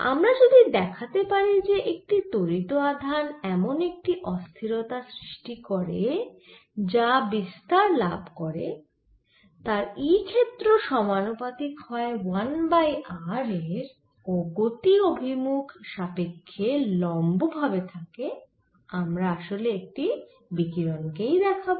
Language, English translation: Bengali, if i can show that an accelerating charge, give me a propagating disturbance which goes as for which the e field is, one over r is perpendicular direction of propagation i have shown in the radiation